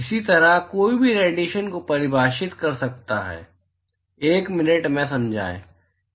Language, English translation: Hindi, Similarly, one could define Irradiation; explain in a minute; what is the Irradiation